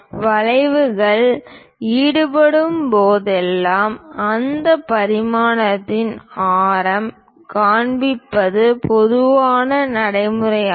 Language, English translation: Tamil, Whenever curves are involved it is a common practice to show the radius of that dimension